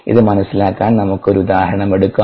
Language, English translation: Malayalam, to understand this, let us take an example